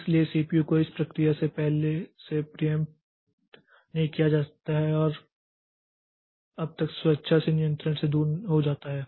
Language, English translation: Hindi, So, CPU is not preempted from the process until unless it voluntarily relinquishes the control